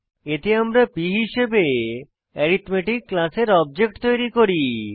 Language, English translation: Bengali, In this we create an object of class arithmetic as p